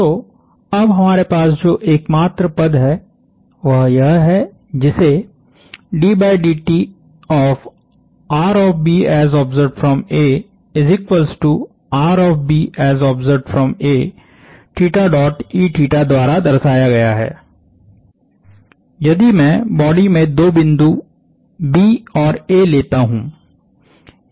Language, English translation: Hindi, So, the only term that we have remaining is this, which is given by theta dot e theta that is, if I take two points B and A in the body